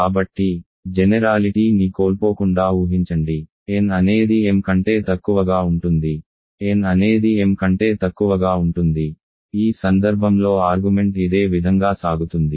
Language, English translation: Telugu, So, assume without loss of generality, n is less than equal to m of course, m could be less than equal to m, in which case the argument goes in a similar way